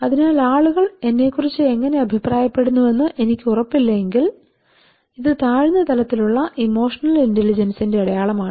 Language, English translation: Malayalam, So so that means am not sure how people fine about myself is a sign of low level of emotional intelligence